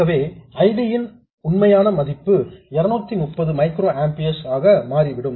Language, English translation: Tamil, So the actual value of ID turns out to be 230 microamperors